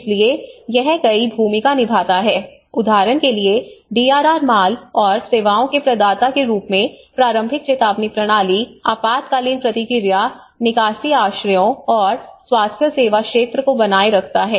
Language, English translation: Hindi, So it plays a number of roles, one is as a providers of DRR goods and services for instance, maintaining early warning systems, emergency response, evacuation shelters and the healthcare sector